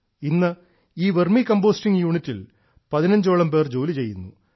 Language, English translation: Malayalam, Today 15 people are also working in this Vermicomposting unit